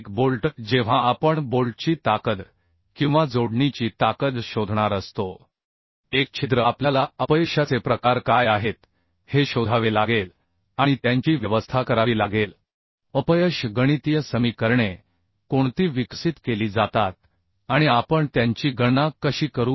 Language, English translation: Marathi, because when we are going to design a bolt, when we are going to find out the strength of a bolt or strength of the connection as a hole, we have to find out what are the type of failure may occur and to arrange those failures, what are the mathematical equations are developed and how we will calculate the strength